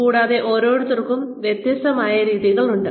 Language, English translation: Malayalam, And, everybody has a different way